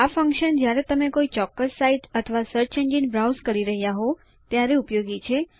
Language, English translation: Gujarati, This function is useful when you are browsing from a particular site or a search engine